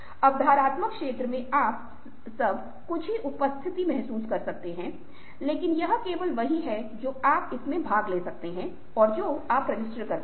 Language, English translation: Hindi, in the perceptual field, you can feel the presence of everything, but it is only what you attend to, is what you register